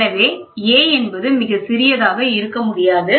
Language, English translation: Tamil, So a, cannot be cannot be very small